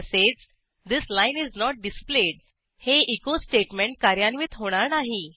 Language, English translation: Marathi, Also, the statement This line is not displayed will not be executed